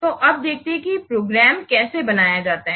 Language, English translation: Hindi, So now let's see how to create a program